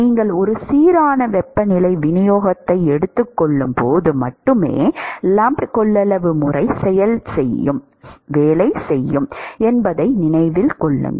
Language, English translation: Tamil, Keep in mind that the lumped capacitance method works only when you can assume a uniform temperature distribution